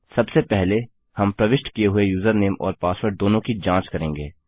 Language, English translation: Hindi, First of all, we will check whether both the user name and the password were entered